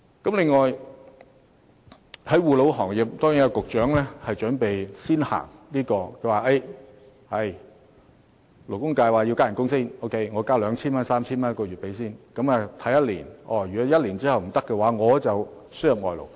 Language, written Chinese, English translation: Cantonese, 至於護老行業，局長說按勞工界建議，先加薪 2,000 元到 3,000 元一個月，然後觀望1年，如果無法解決問題，就輸入外勞。, In the case of elderly care service the Secretary says that he will follow the advice of the industry by first raising the pay by 2,000 or 3,000 a month and see what will happen for a year . If that does not solve the problem they will have to import labour